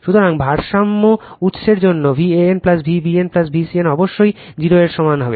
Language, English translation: Bengali, So, for balance source V a n plus V b n plus V c n must be equal to 0